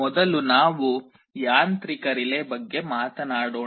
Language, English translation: Kannada, First let us talk about mechanical relay